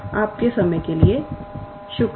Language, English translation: Hindi, Thank you for your time